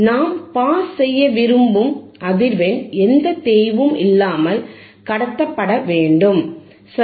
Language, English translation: Tamil, Thate frequency that we want to pass it should be passed without any attenuation, right